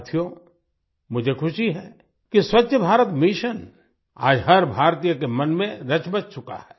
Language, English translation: Hindi, Friends, I am happy that the 'Swachh Bharat Mission' has become firmly rooted in the mind of every Indian today